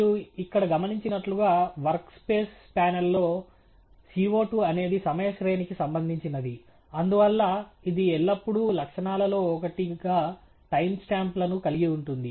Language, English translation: Telugu, As you must notice here, in the work space panel, CO 2 is a time series object, and therefore, its always going to have time stamps as one of the attributes